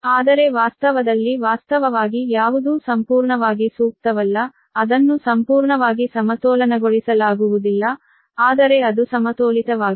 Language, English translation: Kannada, but in the reality, in reality, actually, nothing is completely ideal, right, so it cannot completely balance, but it is balanced right